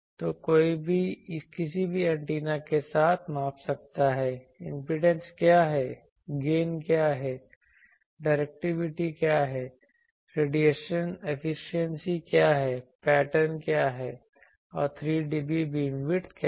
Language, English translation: Hindi, So, anyone can measure with any given antenna, what are it is impedance what are it is gain what is it is directivity what is it is radiation efficiency and what is it is pattern what is the 3dB beam width